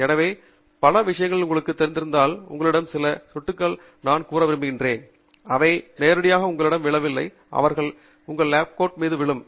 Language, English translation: Tamil, So, many things that if you have, you know, a few drops spilling on you, they do not directly fall on you, they fall on your lab coat